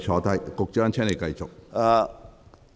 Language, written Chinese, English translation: Cantonese, 局長，請繼續作答。, Secretary please continue with your reply